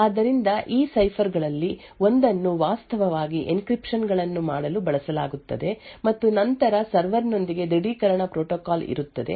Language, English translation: Kannada, So, one of these ciphers would be used to actually do encryptions and then there would be an authentication protocol with a server